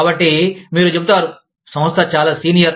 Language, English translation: Telugu, So, you will say, the organization is much senior